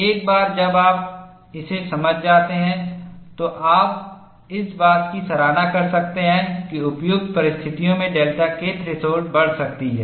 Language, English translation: Hindi, Once you understand this, then you can appreciate that delta K threshold can increase under suitable conditions